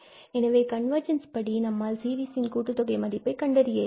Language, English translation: Tamil, So, by this convergence theorem, we can find the value of series, the sum of the series for many series